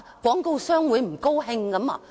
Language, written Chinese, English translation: Cantonese, 廣告商會不高興嗎？, Will the advertisers be unhappy with it?